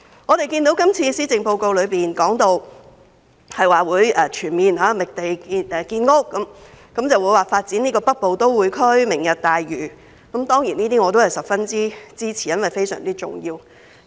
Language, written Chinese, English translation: Cantonese, 我們看到今次施政報告提到會全面覓地建屋，發展北部都會區、"明日大嶼"，我對此當然十分支持，亦認為十分重要。, We have noticed in this Policy Address that there will be comprehensive land identification for housing construction as well as the development of the Northern Metropolis and Lantau Tomorrow; I certainly support these proposals and find them very important